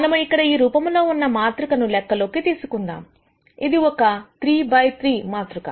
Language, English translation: Telugu, Let us consider a matrix which is of this form here; it is a 3 by 3 matrix